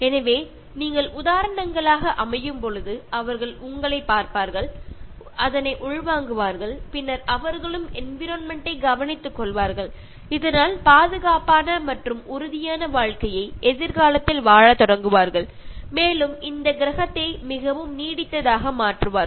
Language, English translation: Tamil, So, when you set examples, the children will look up to you and then they will internalize, and then they will start caring for the environment and start living in a very safe and secured future and make this planet very sustainable